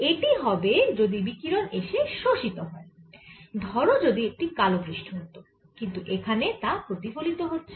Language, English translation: Bengali, if the radiation got absorbs, suppose i had a black sheet, but it is getting reflected